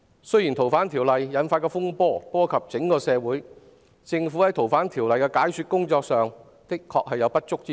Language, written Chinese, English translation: Cantonese, 修訂《逃犯條例》引發的風波波及整個社會，政府就修例的解說工作亦確實有不足之處。, The turmoil arising from the amendments to the Fugitive Offenders Ordinance affects our society as a whole and the HKSAR Governments explanation work on the amendment exercise has been indeed inadequate